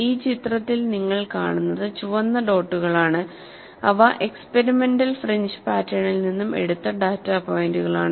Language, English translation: Malayalam, And what you see in this picture, is the red dots, which are actually data points taken out from the experimental fringe pattern